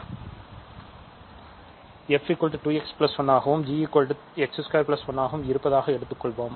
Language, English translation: Tamil, Let us take f to be 2 x plus 1 and g to be x square plus 1